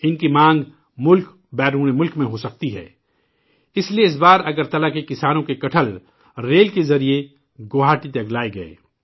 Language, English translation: Urdu, Anticipating their demand in the country and abroad, this time the jackfruit of farmers of Agartala was brought to Guwahati by rail